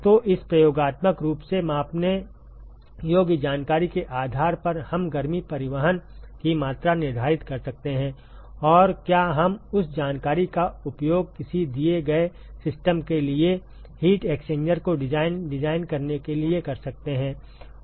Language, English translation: Hindi, So, based on this experimentally measurable information can we quantify the extent of heat transport and can we use that information to design, design heat exchanger for a given system